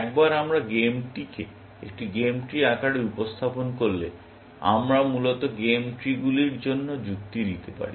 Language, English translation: Bengali, Once we represent the game in the form of a game tree with, we can just reason with the game trees, essentially